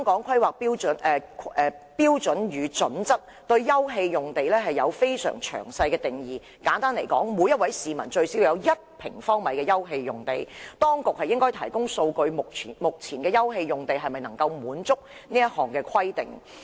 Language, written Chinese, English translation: Cantonese, 《規劃標準》對休憩用地有非常詳細的定義，簡單而言，每名市民最少要有1平方米的休憩用地。當局應該提供數據，說明目前的休憩用地是否能夠滿足這項規定。, Simply put each person should be provided with an open space of at least 1 sq m The authorities should provide us with figures to explain whether the current open space provided complies with this requirement